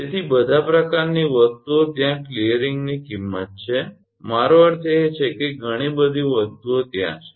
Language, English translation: Gujarati, So, all sort of things are there cost of clearing it is I mean a many things are there